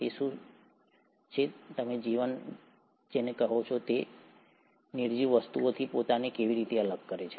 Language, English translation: Gujarati, What is it that you call ‘life’ and how is it sets itself apart from non living things